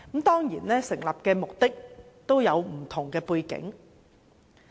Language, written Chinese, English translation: Cantonese, 當然，成立這類委員會都有不同背景。, Of course these committees were formed under different backgrounds